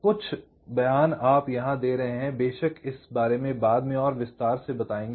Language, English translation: Hindi, there are a few statements you are making here, of course, will be explaining this little later in more detail